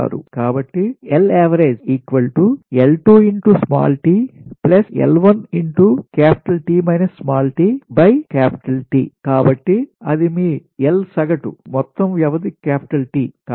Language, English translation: Telugu, so that is your l average total duration is t